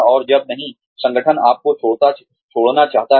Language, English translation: Hindi, And not when, the organization wants you to leave